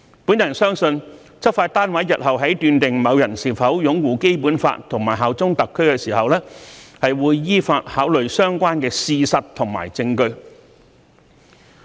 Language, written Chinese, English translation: Cantonese, 我相信執法單位日後在判斷某人是否擁護《基本法》和效忠特區時，會依法考慮相關事實和證據。, I trust that the law enforcement units will consider relevant facts and evidence in accordance with law when determining whether a person upholds the Basic Law and bears allegiance to HKSAR in the future